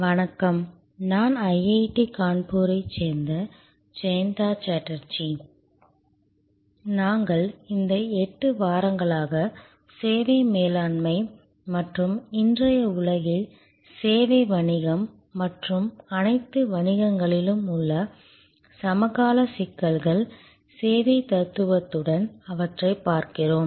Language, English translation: Tamil, Hello, I am Jayanta Chatterjee from IIT, Kanpur and we are interacting now for these 8 weeks on services management and the contemporary issues in today’s world in the service business and in all businesses, looking at them with the service philosophy